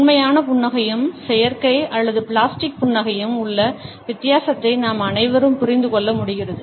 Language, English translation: Tamil, Almost all of us are able to understand the difference between a genuine smile and a synthetic or a plastic smile